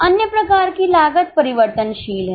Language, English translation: Hindi, Other type of cost is variable